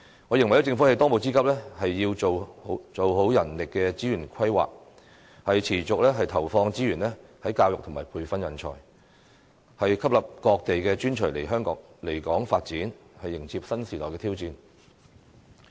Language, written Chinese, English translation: Cantonese, 我認為政府當務之急是要做好人力資源規劃，持續投放資源在教育和培訓人才，吸引各地的專才來港發展，迎接新時代的挑戰。, It is simply inept . I think the top priority for the Government at this moment is to plan for human resources and continue to commit resources for education and training talents so as to attract talents from various places to develop in Hong Kong and embrace the challenges of a new era